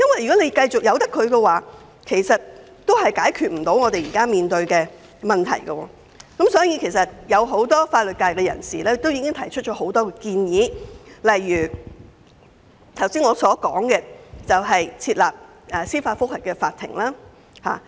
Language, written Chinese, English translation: Cantonese, 如果繼續不處理，將無法解決現時面對的問題，所以很多法律界人士曾提出很多建議，例如剛才所說的設立司法覆核法庭。, If this problem remains unresolved we will not be able to resolve the problems we are facing that is why many members of the legal profession have put forward various proposals such as the establishment of a court of judicial review which I have mentioned just now